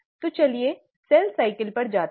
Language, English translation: Hindi, So let us go to the cell cycle